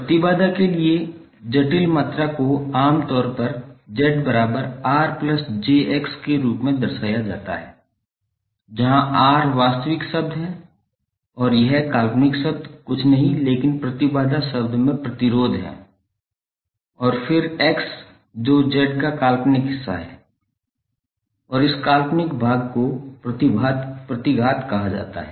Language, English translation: Hindi, The complex quantity for impedance is generally represented as Z is equal to R plus j X, where R is the real term and this real term is nothing but the resistance in the impedance term and then X which is imaginary part of Z and this imaginary part is called reactance